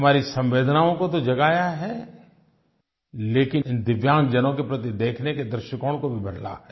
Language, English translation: Hindi, These have not only inspired our empathy but also changed the way of looking at the DIVYANG people